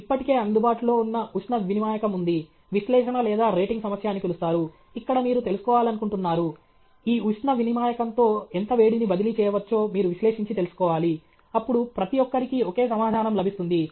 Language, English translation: Telugu, There is a heat exchanger which is already available, you have what is called the analysis or rating problem, where you want to find out, you want analyze and find out how much of heat can be transferred with this heat exchanger okay; then everybody will get the same answer